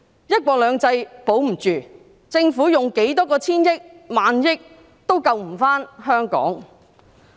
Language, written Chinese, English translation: Cantonese, "一國兩制"保不住，政府用多少個千億元或萬億元也救不回香港。, If one country two systems cannot be upheld Hong Kong cannot be saved no matter how many hundreds or thousands of billions of dollars are spent by the Government